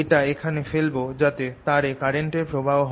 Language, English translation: Bengali, i'll put this here so that there is an current produce in this wire